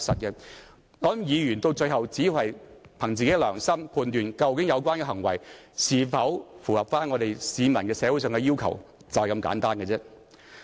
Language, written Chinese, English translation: Cantonese, 我想議員到最後只會憑自己良心來判斷，有關行為是否符合市民和社會上的要求，便是如此簡單。, Eventually I think Members will make a judgment according to their conscience on whether the behaviour in question meets with the expectations of the public and society . It is just that simple